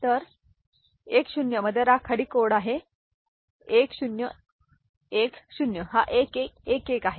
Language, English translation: Marathi, So, gray code in 10 is 1010 this is 1111